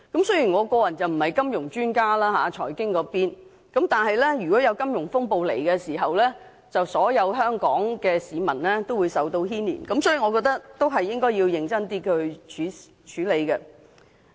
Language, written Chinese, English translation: Cantonese, 雖然我個人並非金融財經專家，但如果金融風暴到來，所有香港市民均會受到牽連，所以我認為必須認真地處理《條例草案》。, I am no monetary and financial expert but in the event of a financial crisis all the people of Hong Kong will be implicated and so I think it is necessary to handle the Bill seriously